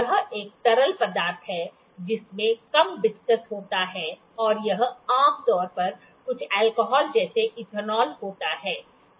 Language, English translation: Hindi, It is a fluid that is low viscosity fluid, and it generally some alcohol like ethanol